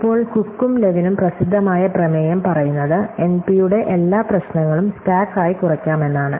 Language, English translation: Malayalam, Now, the famous theorem by Cook and Levin says that every problem NP can be reduces to stack